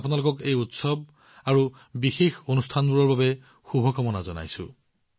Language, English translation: Assamese, I wish you all the best for these festivals and special occasions